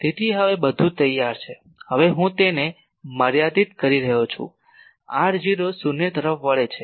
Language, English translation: Gujarati, So, everything now is ready I am now putting it limit r 0 tends to zero